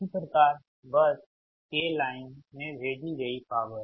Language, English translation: Hindi, so similarly, power fed into the line from bus k